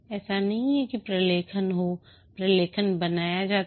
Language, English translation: Hindi, It is not that for the sake of documentation is created